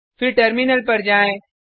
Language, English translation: Hindi, Then switch to the terminal